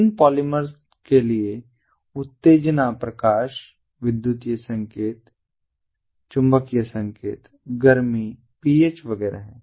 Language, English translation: Hindi, the stimuli for these polymers are the light, electrical signals, magnetic signals, heat, ph, etcetera, etcetera